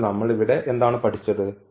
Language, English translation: Malayalam, So, what we have learned here